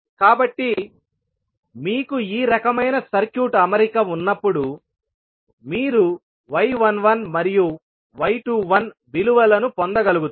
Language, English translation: Telugu, So, when you have this kind of circuit arrangement you will be able to get the values of y 11 and y 21